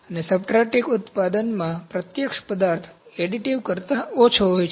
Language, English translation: Gujarati, And in subtractive manufacturing, the direct material is lower than in additive